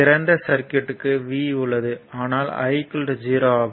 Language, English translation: Tamil, So, for open circuit v is there, but i is 0, right